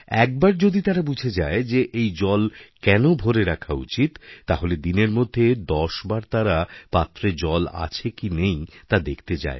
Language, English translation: Bengali, Once they understand why they should fill the pots with water they would go and inspect 10 times in a day to ensure there is water in the tray